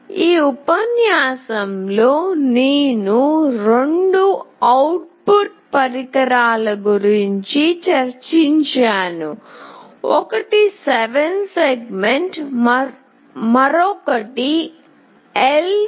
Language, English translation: Telugu, In this lecture I have discussed about two output devices, one is 7 segment, another is LCD